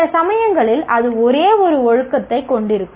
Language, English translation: Tamil, Sometimes it will have only one discipline